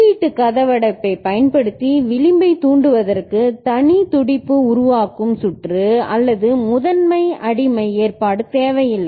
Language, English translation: Tamil, And edge triggering using input lockout does not require separate pulse forming circuit or master slave arrangement